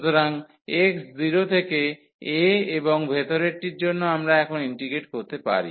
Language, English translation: Bengali, So, x from 0 to a and for the inner one we can integrate now